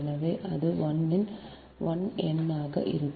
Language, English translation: Tamil, so it will be one n will be there